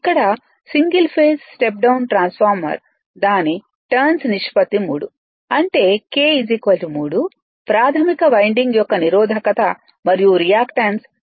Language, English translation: Telugu, Here a single phase step down transformer has its turns ratio of 3; that is k is equal to 3, the resistance and reactance of the primary winding are 1